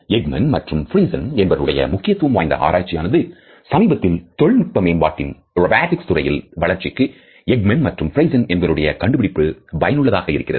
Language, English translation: Tamil, This is a very significant research by Ekman and Friesen, because we find that the latest technological developments in the area of robotics etcetera are also using this basic finding by Ekman and Friesen